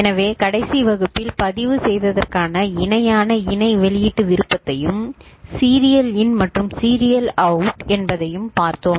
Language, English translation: Tamil, So, in the last class we have seen parallel in parallel output option for register as well as serial in and serial out ok